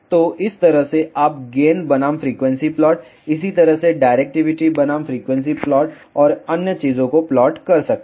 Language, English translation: Hindi, So, in this way you can plot the gain versus frequency plot, similarly directivity versus frequency plot and other things